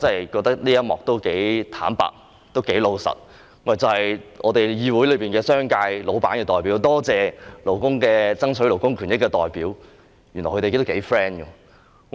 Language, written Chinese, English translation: Cantonese, 我覺得這一番話相當坦白，亦相當老實，就是議會內商界老闆的代表，多謝爭取勞工權益的代表，原來他們感情非常好。, I think Mr SHIUs remarks are very honest which is the representative of bosses in the commercial sector thank the representatives who strive for labour rights and interests . It turns out that the two parties have a very good relationship